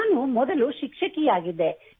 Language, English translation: Kannada, Earlier, I was a teacher